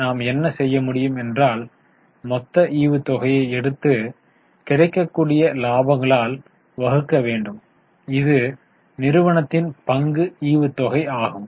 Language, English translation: Tamil, So, what we can do is take the total dividend and divide it by the available profits, which is equity dividend of the company divided by the profit for the period